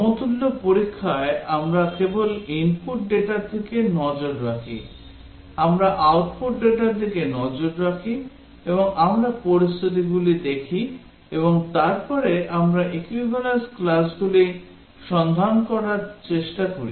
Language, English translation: Bengali, In equivalence testing we just look at the input data, we look at the output data, and we look at the scenarios and then we try to find the equivalence classes